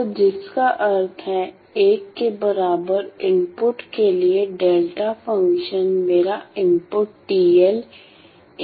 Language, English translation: Hindi, So, which means for input equal to 1 the delta functions denote my input at time points t n